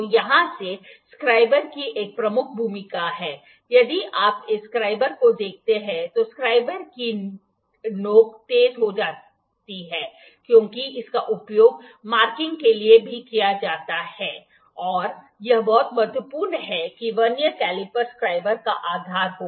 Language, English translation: Hindi, So, there is a major role of this scriber here, if you look at this scriber at the tip of this scriber is sharpened here is sharpened because this is also used for marking and it is very important that the Vernier caliper the base of the scriber